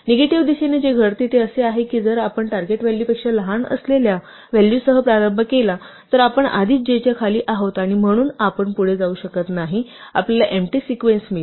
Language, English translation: Marathi, Conversely in the negative direction what happens is that if we start with the value which is smaller than the target value, we are already below j and so we cannot proceed, we get an empty sequence